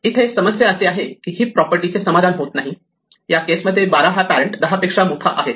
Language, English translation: Marathi, The problem is that this may not satisfy the heap property; in this case 12 is bigger than its parent 10